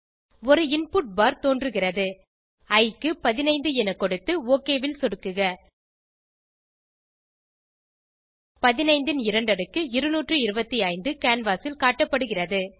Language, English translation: Tamil, An input bar appears lets enter 15 for i and click OK square of 15 = 225 is displayed on the canvas